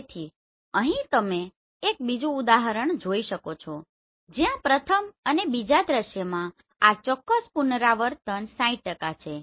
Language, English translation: Gujarati, So here you can see this is another example where this particular repetition in the first and second scene is 60% right